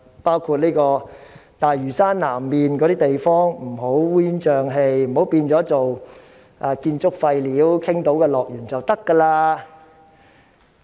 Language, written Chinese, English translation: Cantonese, 例如，大嶼山南面不能烏煙瘴氣，不能成為傾倒建築廢料的樂園。, For example South Lantau should not be messed up and turned into a paradise for dumping construction waste